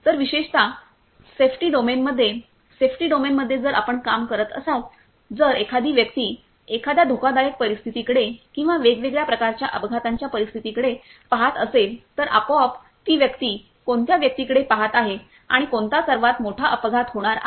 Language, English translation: Marathi, So, particularly in a safety domain; safety domain if you are working, then one person if he is looking at one hazardous situation or different kinds of accident scenario, then you can automatically detect that what that person is looking at and which is the most high a severe accident that is going to occur